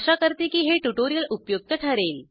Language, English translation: Marathi, Hope you found this tutorial useful